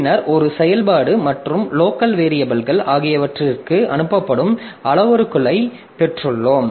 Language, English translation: Tamil, Then we have got the parameters that are passed for a function and the local variables